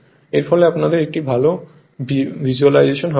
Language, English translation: Bengali, There thus that you can have a better visualisation